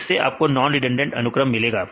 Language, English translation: Hindi, So, you can get the non redundant sequences